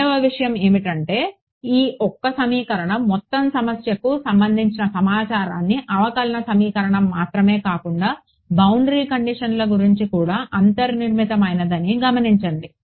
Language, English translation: Telugu, The second thing is notice that this one equation has inbuilt into it information about the entire problem not just the differential equation, but the boundary conditions also how is that